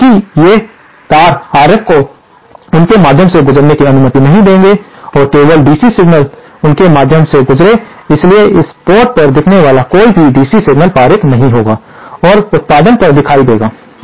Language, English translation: Hindi, And since these wires will not allow RF to pass through them, and only DC to pass through them, so any DC signal appearing at this port will be passed onto the output